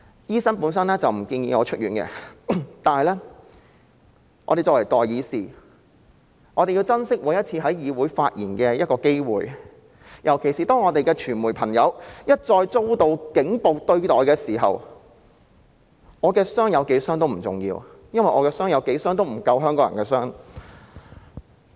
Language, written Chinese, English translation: Cantonese, 醫生本來不建議我出院，但我們作為代議士，必須珍惜每次在議會發言的機會，尤其是當傳媒朋友一再遭到"警暴"對待時，我的傷勢有多嚴重都不重要，因為即使我的傷勢多嚴重，亦不及香港人的傷勢。, Actually the doctor did not recommend my discharge from the hospital but being the peoples representatives we must cherish each and every chance to speak in the legislature . In particular when friends from the media have repeatedly fallen victim to police brutality it does not matter how serious my injury is . Even though I am seriously injured my injury is incomparable to that of the people of Hong Kong